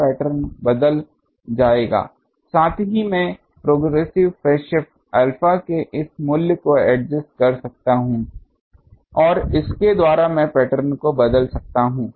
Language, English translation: Hindi, So, the pattern will change, also I can adjust this value of progressive phase shift alpha and by that I can change the pattern